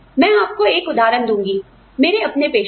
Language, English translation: Hindi, I will give you an example, from my own profession